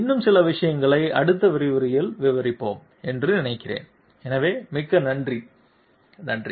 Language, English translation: Tamil, There are some other things which I think we will be putting in to the next lecture, so thank you very much thank you